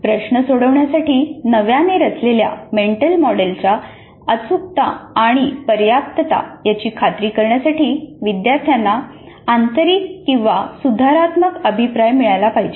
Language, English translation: Marathi, Learners should receive either intrinsic or corrective feedback to ensure correctness and adequacy of their newly constructed mental model for solving problems